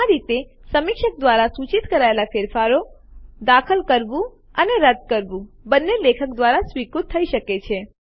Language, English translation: Gujarati, In this way, edits suggested by the reviewer, both insertions and deletions, can be accepted by the author